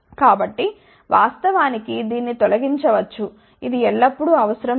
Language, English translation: Telugu, So in fact, this can be removed it is not always required